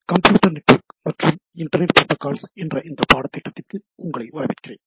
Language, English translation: Tamil, So, welcome to this course on Computer Networks and Internet Protocols